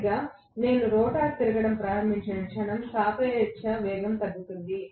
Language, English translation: Telugu, Exactly, but the moment the rotor starts rotating, the relative velocity is going to decline